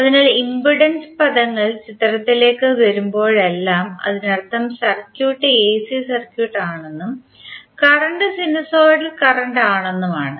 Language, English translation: Malayalam, So whenever the impedance terms into the picture it means that the circuit is AC circuit and the current is sinusoidal current